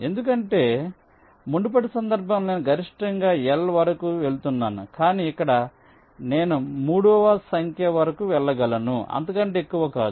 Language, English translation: Telugu, because in the earlier case i was going up to a maximum of l, but here i can go up to a number three, not more than that